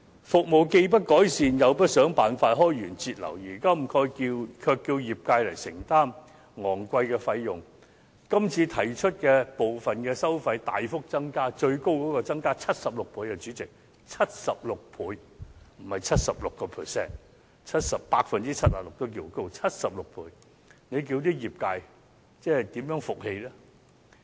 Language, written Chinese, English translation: Cantonese, 服務既不改善，又不想辦法開源節流，如今卻要業界承擔昂貴費用，這次提出的部分收費大幅增加，最高更是增加76倍——主席，是76倍，不是 76%；76% 已經算高，何況是76倍——這叫業界怎能信服？, With no improvement in the services it does not work out any way to generate revenue and cut down costs yet it requires the industry to bear expensive fees . The increases in some of the fees in this proposal are drastic with the highest one being 76 times―President it is 76 times not 76 % ; 76 % is already high not to mention 76 times―how will the industry be convinced?